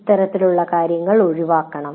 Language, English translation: Malayalam, So that should be avoided